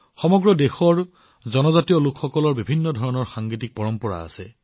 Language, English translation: Assamese, Tribals across the country have different musical traditions